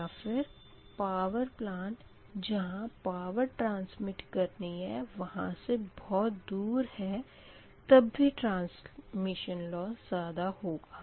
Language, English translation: Hindi, similarly, if the plant is located far from the load center, transmission loss may be higher